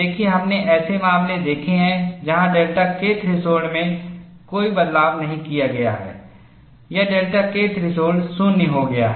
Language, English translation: Hindi, See, we have seen cases where delta k threshold is not altered or delta K threshold becomes 0